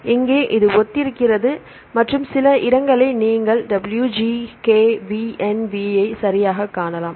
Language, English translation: Tamil, Here this is similar and you can see some places right WGKVNV right